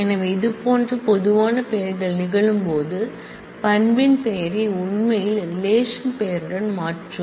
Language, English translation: Tamil, So, when the, such common names happen then we actually change the name of the attribute with the name of the relation